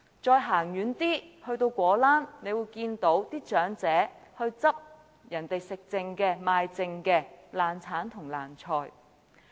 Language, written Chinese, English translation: Cantonese, 再走遠一點到果欄，大家會看到長者撿拾別人吃剩、賣剩的爛橙、爛菜。, If we venture farther we will reach some fruit market stalls where we will see elderly people collecting rotten oranges and vegetables unsold or left over